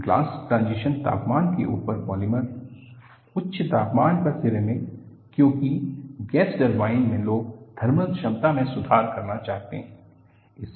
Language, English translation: Hindi, Polymers above glass transition temperature, ceramics at high temperatures because in gas turbines, people want to improve the thermal efficiency